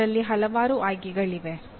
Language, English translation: Kannada, There are choices